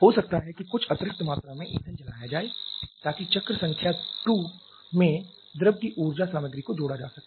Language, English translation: Hindi, May be some additional amount of fuel is burned to be added to the energy content of the fluid in cycle number 2 that is what we are having here